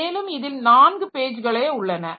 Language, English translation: Tamil, So, it will have 2 pages